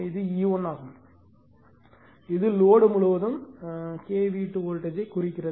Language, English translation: Tamil, This is your E 1 it can be represent by K V 2 voltage across the load